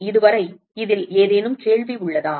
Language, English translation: Tamil, Any question on this so far